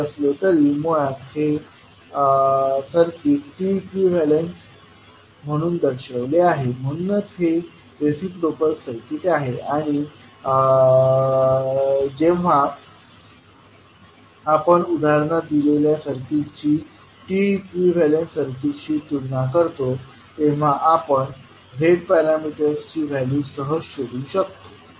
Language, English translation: Marathi, Anyway, this circuit itself is represented as T equivalent, so this is reciprocal circuit and when we compare with the T equivalent circuit with the circuit given in the example you can easily find out the value of the Z parameters